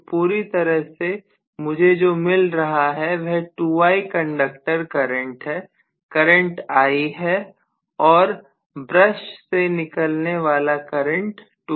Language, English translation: Hindi, So totally what I am getting is 2I conductor current is I and the current that is coming out of the brushes is 2I